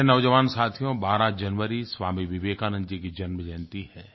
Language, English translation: Hindi, Dear young friends, 12th January is the birth anniversary of Swami Vivekananda